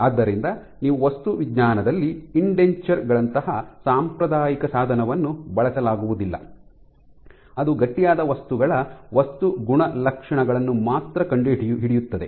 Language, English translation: Kannada, So, you cannot use traditional instrument used in material science like indentures which can only probe the material properties of stiff materials